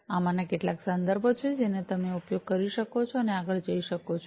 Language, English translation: Gujarati, These are some of these references, which you could use and go through further